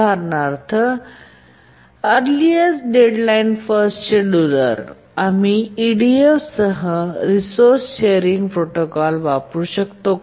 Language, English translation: Marathi, For example, the earliest deadline first scheduler, can we use a resource sharing protocol with EDF